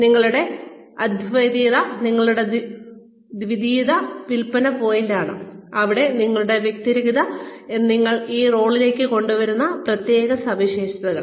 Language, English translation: Malayalam, Your uniqueness, your unique selling point is your distinctness here, the special characteristics, you have brought to this role